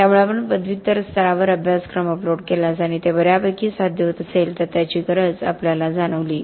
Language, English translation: Marathi, So we realized the need to, if you upload the curriculum at the post graduate level and that is achieving quite well